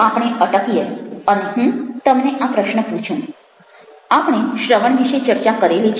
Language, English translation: Gujarati, now you take a pause and i ask you this question: we have being talking about listening